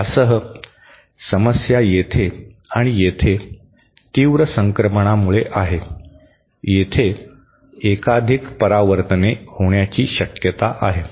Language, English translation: Marathi, The problem with this is because of the sharp transitions here and here, there is a possibility of multiple reflections